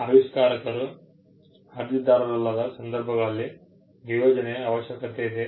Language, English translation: Kannada, In cases where the inventor is not the applicant, there is a need for assignment